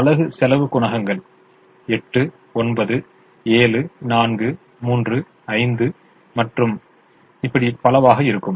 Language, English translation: Tamil, the unit cost coefficients would be eight, nine, seven, four, three, five and so on